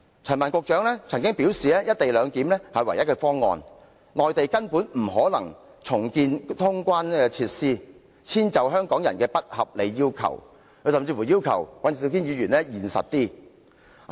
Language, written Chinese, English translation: Cantonese, 陳帆局長曾表示"一地兩檢"是唯一的方案，內地根本不可能重建通關設施以遷就香港人的不合理要求，他甚至要求尹兆堅議員現實一點。, According to Secretary Frank CHAN the proposed co - location arrangement is the only viable option since it would be totally impossible for the Mainland to rebuild the clearance facilities in order to address Hong Kong peoples unreasonable demand . He even asked Mr Andrew WAN to adopt a more realistic stance instead